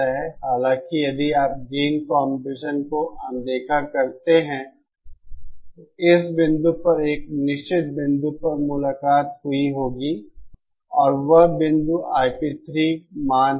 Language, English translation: Hindi, However, if you ignore the gain compression, then there would have met at this point, at a certain point and that point is the I P 3 value